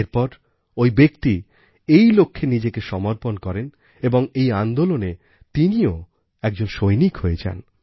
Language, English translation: Bengali, In the process, he gets himself dedicated to this cause and becomes a soldier of that movement